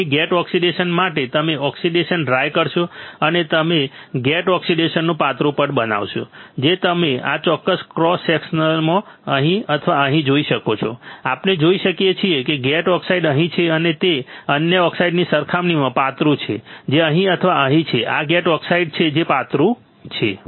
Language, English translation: Gujarati, So, here for gate oxide you will dry oxidation and you will form a thin layer of gate oxide, which you can see right over here right or right over here in this particular cross section, we can see the gate oxide is here and it is thinner compared to other oxide which is here or here right this is thinner which is gate oxide